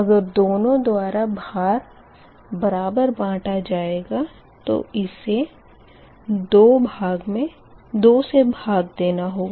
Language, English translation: Hindi, so if and if loads are shared equally, then both will be that essentially divided by two